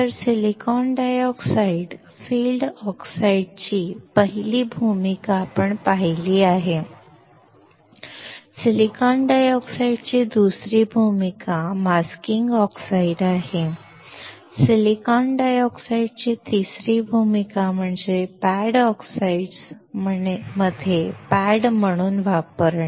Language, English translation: Marathi, So, first role we have seen of silicon dioxide field oxides; second role of silicon dioxide is masking oxide; third role of silicon dioxide is to use as a pad in the pad oxides